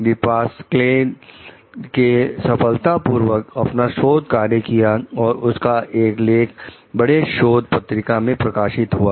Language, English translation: Hindi, Depasquale is successful in her research, and her article is published in a major journal